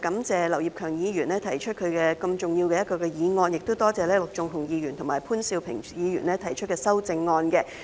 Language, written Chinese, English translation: Cantonese, 主席，我首先感謝劉業強議員提出一項如此重要的議案，也多謝陸頌雄議員和潘兆平議員提出修正案。, President first of all I would like to thank Mr Kenneth LAU for proposing such an important motion and also Mr LUK Chung - hung and Mr POON Siu - ping for proposing their amendments